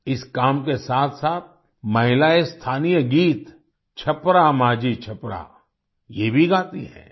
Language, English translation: Hindi, Along with this task, women also sing the local song 'Chhapra Majhi Chhapra'